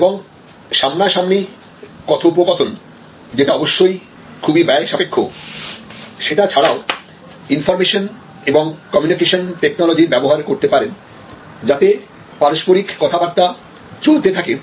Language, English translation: Bengali, And then besides the face to face interaction which is obviously, the most the costliest you can use therefore, technology the information and communication technology to keep the interaction going